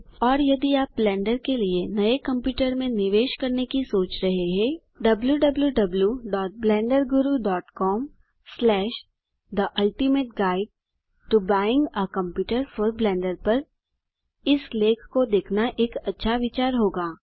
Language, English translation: Hindi, Also if you are planning to invest in a new computer for Blender, It would be a good idea to check out this article over at www.blenderguru .com/ the ultimate guide to buying a computer for blender